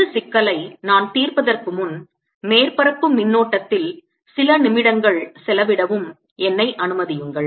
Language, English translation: Tamil, before i solve this problem, let me spend a few minutes on surface current